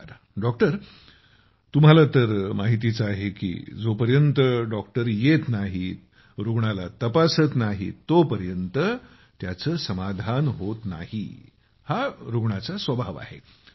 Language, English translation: Marathi, Well Madan Mani ji, you know that the patient has a tendency that until the doctor comes; until the doctor sees him; he is not satisfied and the doctor also feels that he will have to see the patient